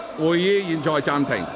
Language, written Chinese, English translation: Cantonese, 會議現在暫停。, The meeting is now suspended